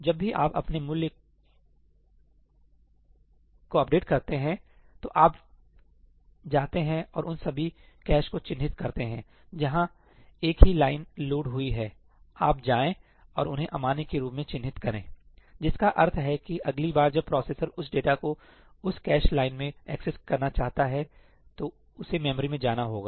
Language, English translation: Hindi, Whenever you update your value, you go and mark all those caches where the same line is loaded, you go and mark them as invalid, which means that the next time that processor wants to access that data in that cache line, it is going to have to go to the memory